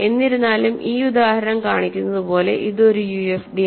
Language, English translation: Malayalam, However, as this example shows this is not a UFD